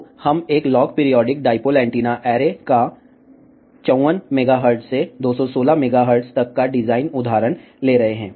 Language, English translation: Hindi, So, we are taking a design example of a log periodic dipole antenna array from 54 megahertz to 216 megahertz ok